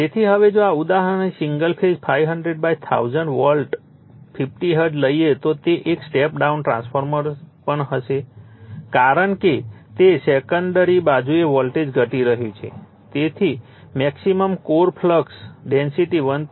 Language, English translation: Gujarati, So, now if you take this example single phase 500 / 1000 volt 50 hertz then it will also a step down transformer because voltage is getting reduced on the secondary side has a maximum core flux density is 1